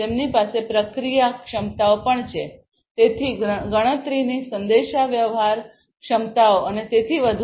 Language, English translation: Gujarati, They also have the processing capabilities, so, computation communication capabilities and so on